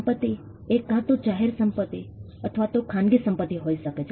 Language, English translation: Gujarati, Property can be either public property or private property